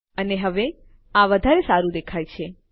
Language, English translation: Gujarati, And this will look much better now